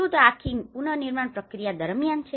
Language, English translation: Gujarati, Is it throughout the reconstruction process